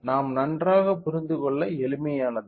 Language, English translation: Tamil, So, easy for us to understand fine